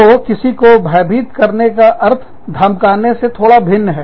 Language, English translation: Hindi, So, to intimidate means, to slightly different than, threatening somebody